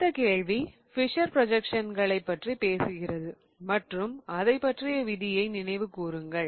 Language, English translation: Tamil, The next question talks about Fisher projections and remember the rule about Fisher projections